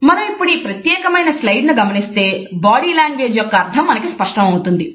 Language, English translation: Telugu, If we look at this particular slide, we would find that the meaning of body language becomes clear to us